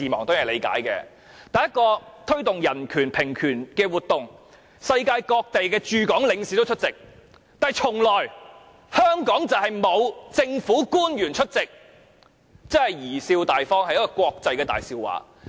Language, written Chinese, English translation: Cantonese, 但是，一個推動人權、平權的活動，世界各地的駐港領事均出席，卻從來沒有香港的政府官員出席，真的貽笑大方，是國際的大笑話。, But this is an event which promotes human rights and equal rights and various consulates in Hong Kong will turn up . Sadly no Hong Kong government officials will attend . This is really laughable and a laughing stock of the international community